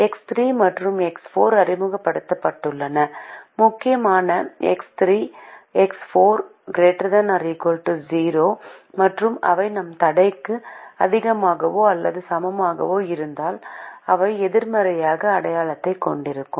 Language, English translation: Tamil, x three and x four have been introduced and, importantly, x three, x four are greater than or equal to zero and they will have a negative sign if we have a greater than or equal to constraint